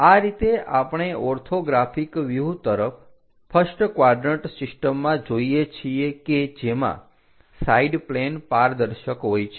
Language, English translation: Gujarati, These are the ways we look at orthographic views in first quadrant system where the side planes are opaque